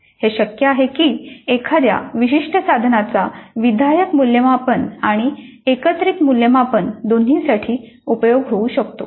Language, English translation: Marathi, It is possible that a particular instrument is used both as a formative instrument as well as summative instrument